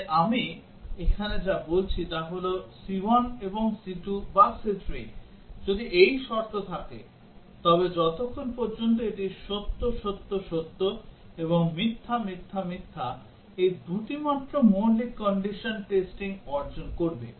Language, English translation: Bengali, So what I am saying here is that if c 1 and c 2 or c 3, if this is the condition then as long as this is true, true, true and false, false, false only two of these will achieve basic condition testing